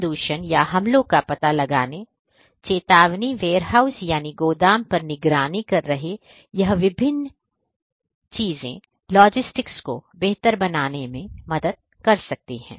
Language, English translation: Hindi, Detection of contamination or attacks, alert notification warehouse monitoring are the different different things that can help improve the logistics